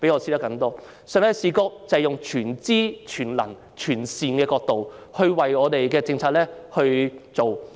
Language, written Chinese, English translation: Cantonese, 上帝的視覺就是以全知、全能和全善的角度來制訂政策。, To adopt Gods view is to formulate policies from the all - knowing all - powerful and all - benevolent perspective